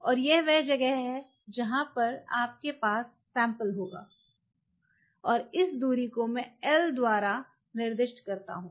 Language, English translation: Hindi, And this is where you have the sample and this distance this distance let us say I just represent by l